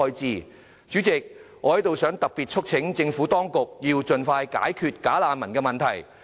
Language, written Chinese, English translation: Cantonese, 代理主席，我特別促請政府當局盡快解決"假難民"的問題。, Deputy President I particularly urge the Administration to resolve the problem of bogus refugees as soon as possible